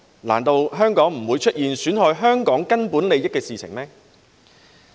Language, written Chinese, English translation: Cantonese, 難道香港就不會出現損害香港根本利益的事情？, Isnt it possible that something could happen there that would jeopardize the fundamental interests of Hong Kong itself?